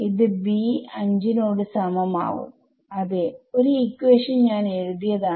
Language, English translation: Malayalam, So, this will simply be equal to b 5 yeah one equation is what I have written